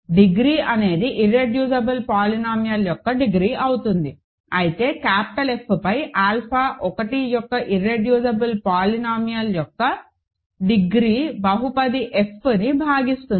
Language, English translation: Telugu, The degree will be the degree of the irreducible polynomial, but degree of the irreducible polynomial of alpha 1 over F divides the polynomial f